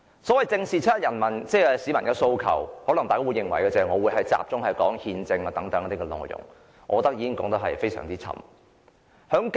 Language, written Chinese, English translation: Cantonese, 就"正視七一遊行市民的訴求"，大家可能會認為，我會集中談論憲政等內容，但我認為已經說得太多。, As to facing up to the aspirations of the people participating in the 1 July march Honourable colleagues may possibly think that I will focus on talking about the constitutional system but I think I have already said too much